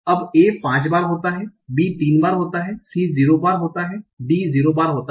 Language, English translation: Hindi, , A occurs after B, 5 times, B occurs after B, 3 times, C occurs after B, 0 times